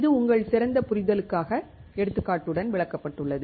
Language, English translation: Tamil, This is explained with an example for your better understanding